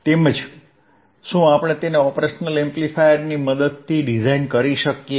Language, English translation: Gujarati, And can we design it with it with the help of operational amplifier,